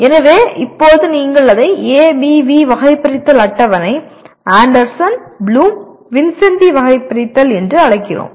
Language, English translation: Tamil, So now you have we call it ABV taxonomy table, Anderson Bloom Vincenti taxonomy table